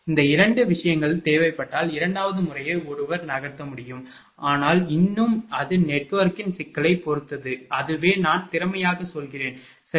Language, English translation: Tamil, If this 2 things are required then second method one can move, but still it depends on the complexity of the network, that which one will be I mean sufficient, right